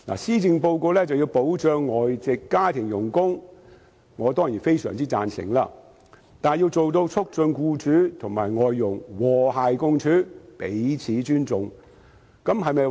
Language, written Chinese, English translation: Cantonese, 施政報告建議保障外傭，我當然非常贊成，但是否必定能達到促進僱主與外傭和諧共處、彼此尊重的目的呢？, Of course I fully support the proposal in the Policy Address to offer protection to foreign domestic helpers . However can the objective of promoting harmony and respect between employers and foreign domestic helpers definitely be achieved?